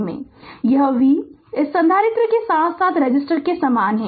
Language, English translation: Hindi, This v is across the same this capacitor as well as the resistor